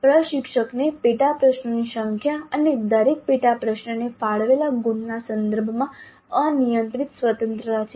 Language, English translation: Gujarati, Practically it's arbitrary, the instructor has unrestricted freedom with respect to the number of sub questions and the marks allocated to each sub question